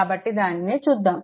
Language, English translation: Telugu, So, let us go to that